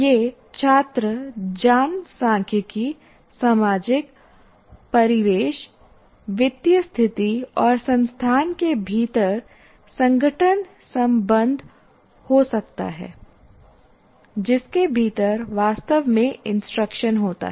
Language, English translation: Hindi, It could be student demographics, social menu, fiscal conditions, and organizational relationships within the institute, within which the instruction actually takes place